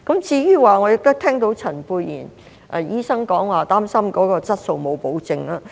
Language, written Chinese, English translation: Cantonese, 我亦聽到陳沛然醫生表示，擔心質素沒有保證。, I have also heard Dr Pierre CHAN express his concern about the lack of quality assurance